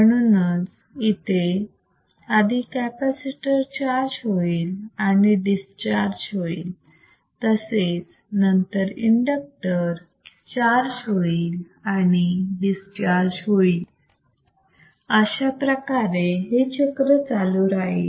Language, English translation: Marathi, So, so beautiful firstHence, first capacitor charges andthen is discharges, then inductor charges andthat discharge, followed by the capacitor charginge and capacitor discharginge again inductor charges this goes on this goes on continuously right and cycle continues